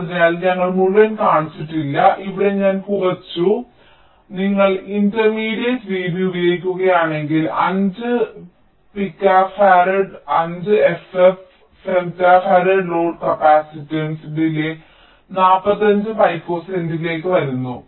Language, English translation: Malayalam, so so if you are using the intermediate v b, then for five pico farad ah, five, f, f, femto farad, load capacitance, the delay comes to forty five picoseconds